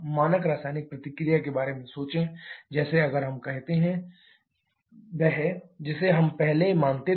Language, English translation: Hindi, Think about standard chemical reaction, like if we talk about say, Ch4 + 2O2 giving CO 2 + 2 H2O the one that we just considered earlier